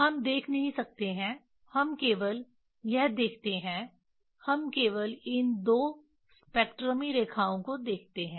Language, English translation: Hindi, We cannot see we only see this we only see these twospectra lines